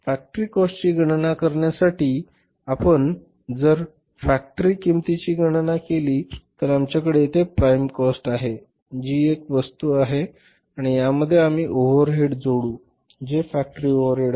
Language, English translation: Marathi, So for calculating the factory cost if you calculate the factory cost we have the prime cost here that is one item and in this we will add these overheads which are factory overheads so we will arrive at the say factory cost or the works cost